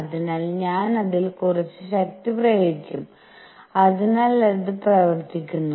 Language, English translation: Malayalam, So, I will be applying some force on it and therefore, it does work